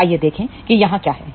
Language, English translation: Hindi, So, let us see what we have here